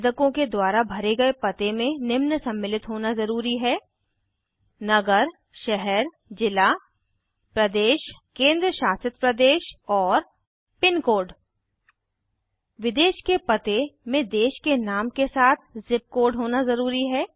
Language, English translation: Hindi, The address given by all the applicants should include these details Town/City/District, State/Union Territory, and PINCODE Foreign addresses must contain Country Name along with its ZIP Code